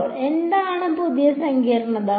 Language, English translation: Malayalam, So, what is the new complication